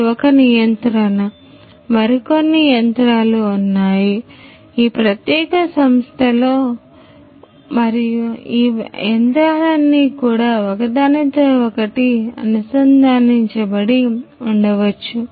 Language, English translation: Telugu, So, this is one machine like this there are few other machines in this particular company and all of these machines could also be interconnected